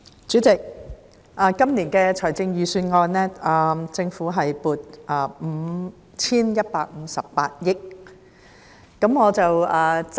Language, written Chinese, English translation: Cantonese, 主席，就今年的財政預算案，政府共撥款 5,158 億元。, Chairman the Government earmarks a total sum of 515.8 billion in this Budget